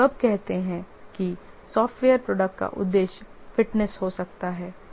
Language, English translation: Hindi, When do you say that software product has fitness of purpose